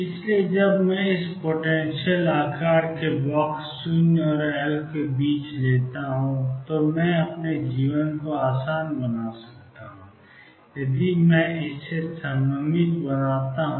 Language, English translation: Hindi, So, when I take this finite size box 0 and L, I can make my life easy if I make it symmetric